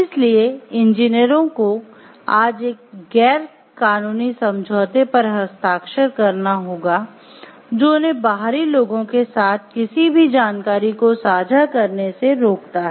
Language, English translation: Hindi, So, engineers today have 2 sign a nondisclosure agreement which binds them from sharing any information with outsiders